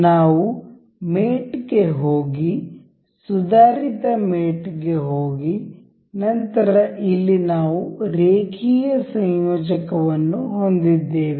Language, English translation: Kannada, We will go to mate to advanced mate, then here we have linear coupler